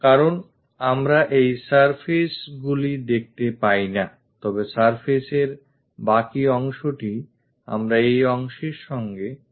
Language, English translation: Bengali, Because we cannot see these surfaces, the rest of the surface what we can see is this purple one along with this part